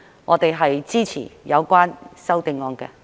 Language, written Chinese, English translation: Cantonese, 我們支持有關的修正案。, We support the relevant amendments